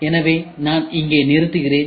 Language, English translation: Tamil, So, let me stop here